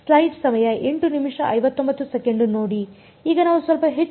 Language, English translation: Kannada, Now, let us look a little bit more